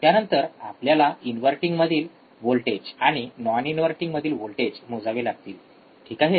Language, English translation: Marathi, Then we have to now measure the voltage at the inverting terminal, and then we have to measure the voltage at the non inverting terminal, alright